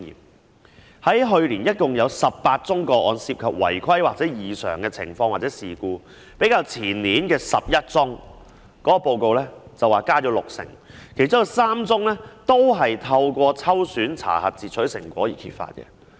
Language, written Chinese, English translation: Cantonese, 報告指出，去年共有18宗違規情況或異常事件或事故，較前年報告的11宗增加六成，其中有3宗均是透過抽選查核截取成果而揭發的。, As stated in the report there were a total of 18 cases of non - compliance irregularity or incidents last year 60 % higher than the 11 case as indicated in the report the year before . Among them three were discovered through selective examination of interception products